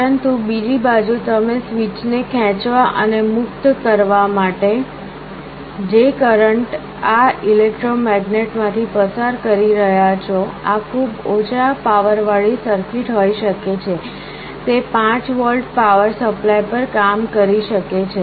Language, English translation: Gujarati, But on the other side the current that you are passing through this electromagnet to pull and release the switch, this can be a very low power circuit, this can be working at 5 volts power supply